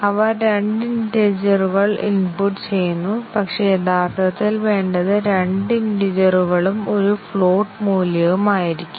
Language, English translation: Malayalam, They were inputting 2 integer values, but, what is needed actually, 2 integer value and a float value and so on